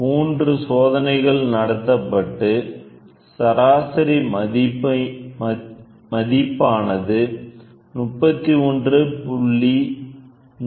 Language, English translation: Tamil, Three trials are conducted on the average value of the span is 31